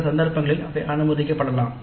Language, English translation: Tamil, In some cases they may allow